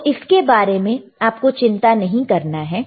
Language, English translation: Hindi, So, do no t worry about this one